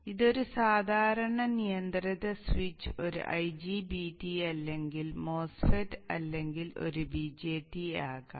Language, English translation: Malayalam, So this is a generic control switch could be an IGBT, a MOSFET or a BT